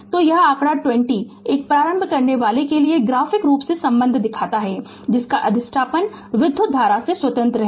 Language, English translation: Hindi, So, this figure 20 shows the relationship graphically for an inductor whose inductance is independent of the current